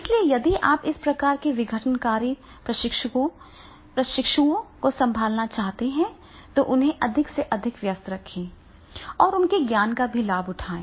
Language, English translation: Hindi, So if you want to handle this type of the disruptive trainees then keep them more and more engaged and take the benefit of their knowledge also